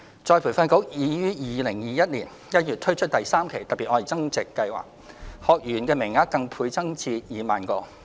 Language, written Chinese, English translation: Cantonese, 再培訓局已於2021年1月推出第三期"特別.愛增值"計劃，學員名額更倍增至2萬個。, ERB has launched Phase 3 of the Love Upgrading Special Scheme in January 2021 with a doubled quota for 20 000 trainees